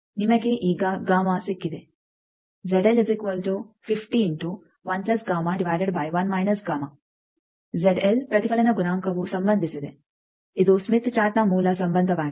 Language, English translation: Kannada, So, you have got gamma now Z L the reflection coefficient is related this is the basic relation of Smith Chart